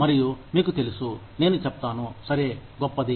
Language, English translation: Telugu, And, so you know, I will say, okay, great